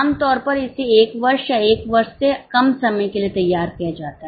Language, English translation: Hindi, Typically it is prepared for one year or less than one year